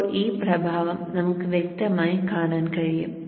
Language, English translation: Malayalam, Now this effect we will be able to see clearly